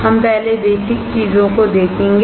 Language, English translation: Hindi, We will see basic things first